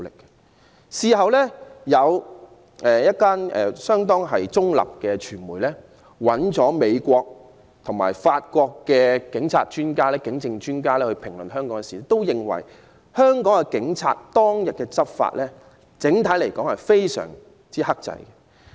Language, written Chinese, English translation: Cantonese, 這次事件後，有相當中立的傳媒機構，邀請美國和法國的警證專家評論這事件，他們均認為香港警方當日執法整體而言非常克制。, After the incident a rather neutral media organization invited the United States and French experts on forensic evidence to comment on the incident . They both agreed that the law enforcement operations by the Hong Kong Police that day were on the whole extremely restrained